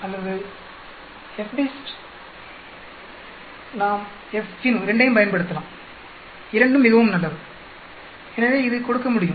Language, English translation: Tamil, We can use both either the FDIST or FINV both are quite good so this can give